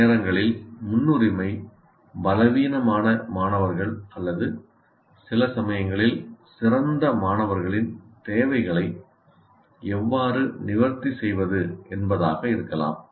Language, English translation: Tamil, And then sometimes the priority could be how to address the requirements of weak students or sometimes the better students